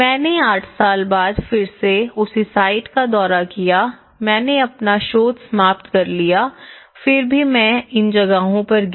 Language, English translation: Hindi, I visited the same site again after eight years though, I finished my research I still visited these places how these things